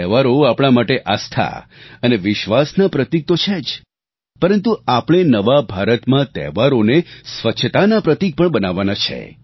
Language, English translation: Gujarati, Festivals are of course symbols of faith and belief; in the New India, we should transform them into symbols of cleanliness as well